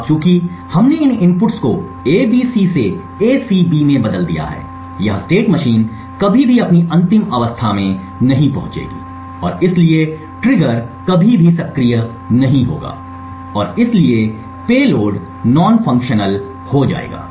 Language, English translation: Hindi, Now since we have reordered these inputs from A B C to A C B this state machine will never reach its final state and therefore the trigger will never get activated and therefore the payload will be non functional